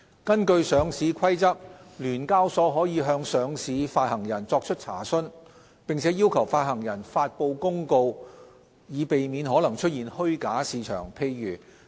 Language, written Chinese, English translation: Cantonese, 根據《上市規則》，聯交所可向上市發行人作出查詢，並要求發行人發布公告以避免可能出現虛假市場。, Under the Listing Rules SEHK may make enquiries and require publication of announcements to avoid the possible development of a false market